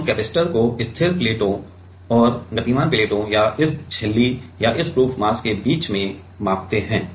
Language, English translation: Hindi, Now, we measure the capacitor in between the fixed plates and the moving plates or the or this membrane right or this proof mass